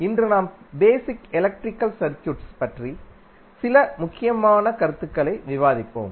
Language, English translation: Tamil, So, today we will discuss about some core concept of the basic electrical circuit